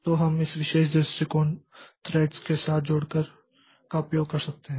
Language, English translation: Hindi, So, we can do it using this particular approach by this joining of threads